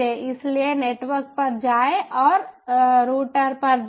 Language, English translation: Hindi, go to the router